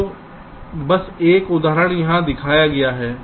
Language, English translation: Hindi, so just an example is shown here